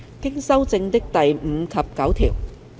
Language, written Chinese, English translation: Cantonese, 經修正的第5及9條。, Clauses 5 and 9 as amended